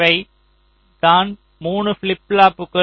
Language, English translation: Tamil, these are the three flip flops